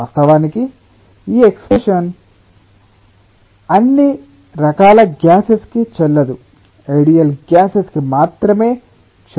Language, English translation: Telugu, of course this expression is not valid for all types of gases, only for ideal gases